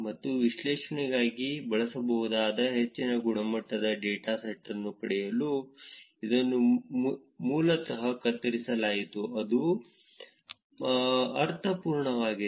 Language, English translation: Kannada, And this was basically pruned to get more quality data which can be used for analysis, is that making sense